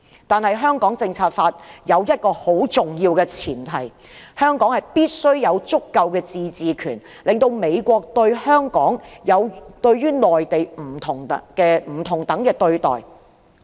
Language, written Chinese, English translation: Cantonese, 但是，《香港政策法》有一個很重要的前提，就是香港必須有足夠的自治權，令美國給予香港與內地不同等的待遇。, However a very important premise of the Hong Kong Policy Act is that Hong Kong must maintain a high degree of autonomy in order to receive special treatment of the United States as distinct from the treatment of the Mainland